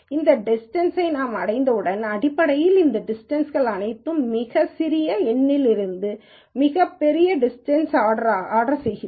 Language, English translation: Tamil, Once we have this distance then what we do, is basically we look at all of these distances and then say, I order the distances from the smallest to the largest